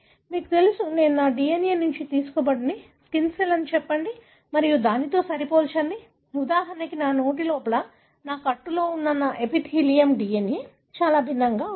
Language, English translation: Telugu, You know if I look into my DNA, derived from my, say skin cell and compare it with, for example my epithelium present in my buckle inside my mouth, the DNA is not going to be very different